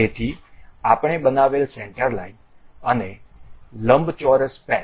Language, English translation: Gujarati, So, a centre line we have constructed, and a rectangular patch